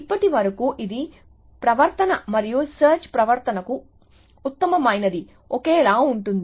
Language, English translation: Telugu, So, so far it is behavior and the best for search behavior is identical